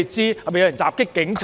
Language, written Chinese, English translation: Cantonese, 是否有人襲擊警察？, Did someone not assault the police officers?